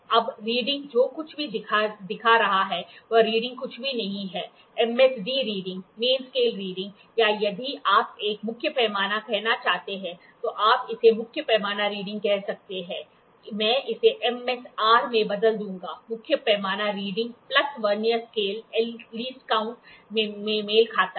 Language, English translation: Hindi, Now, the reading whatever is showing, reading is nothing but MSD reading, main scale reading or if you want to say a main scale you can call it as main scale reading, I will change it into MSR, main scale reading plus Vernier scale Vernier Vernier coincidence coincident coinciding into LC